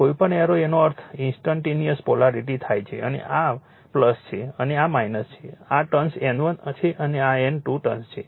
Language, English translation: Gujarati, Anybody aero it means instantaneous polarity plus and this is minus and this turn this is N 1 turn is an N 2 turns